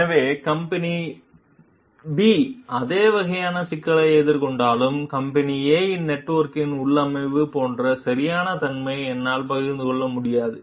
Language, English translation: Tamil, So, even if company B is facing the same kind of problem, maybe I will not be able to share the exact like configuration of company A s network